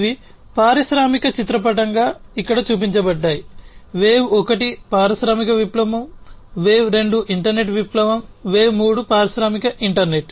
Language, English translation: Telugu, So, the so these are basically pictorially shown over here, wave one was the industrial revolution, wave two is the internet revolution, and wave three is the industrial internet